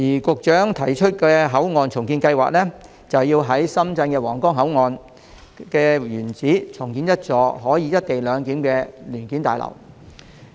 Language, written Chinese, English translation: Cantonese, 局長提出的口岸重建計劃，正是要在深圳的皇崗口岸原址重建一幢可進行"一地兩檢"的聯檢大樓。, The port redevelopment plan proposed by the Secretary now seeks mainly to provide a passenger terminal building for implementing co - location arrangement at the original site of the Huanggang Port in Shenzhen